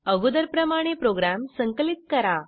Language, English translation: Marathi, Compile the program as before